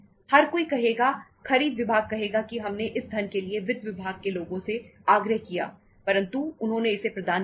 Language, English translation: Hindi, Everybody would say, purchase department would say we requested for this much of the funds from the finance people they didnít provide it